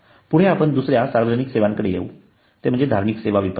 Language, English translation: Marathi, then we come to public services like social marketing or public services marketing